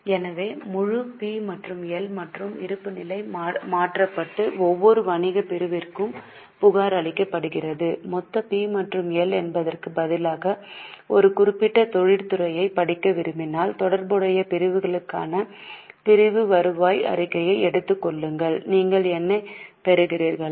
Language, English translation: Tamil, So, the whole P&L and balance sheet is converted and is reported for each business segment and if you want to study a particular industry instead of taking the total P&L, just take the segmental revenue statement for the relevant segment